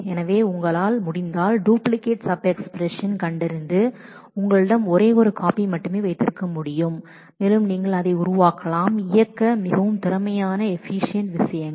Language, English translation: Tamil, So, if you can detect duplicate sub expressions then you can have only one copy and you can make the things more efficient to run